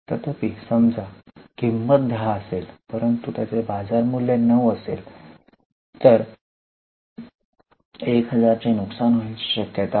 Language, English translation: Marathi, However, suppose the cost is 10 but market value falls to 9,000, then there is a possibility of loss of 1,000